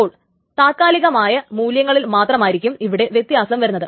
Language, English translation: Malayalam, So, only the temporary values of this are modified